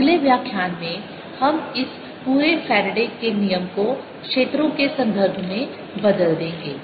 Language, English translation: Hindi, in the next lecture we will be turning this whole faradays law into in terms of fields